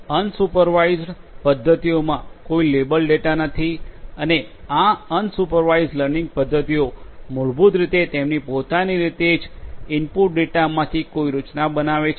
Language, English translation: Gujarati, So, there is no you know there is no label data in unsupervised methods and these unsupervised learning methods basically extract a structure of the structure in the input data on their own